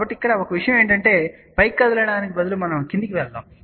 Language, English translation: Telugu, So, the one thing here is that instead of a moving up, let us move downward